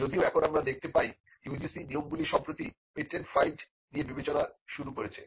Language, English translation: Bengali, Though now we find the UGC norms have recently started considering patents filed as well